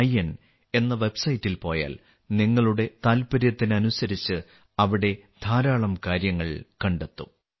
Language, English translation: Malayalam, in website, you will find many things there according to your interest